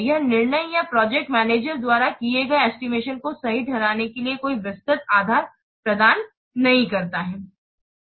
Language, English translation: Hindi, It does not provide any detailed basis for justifying the decisions or the estimates that a project manager has made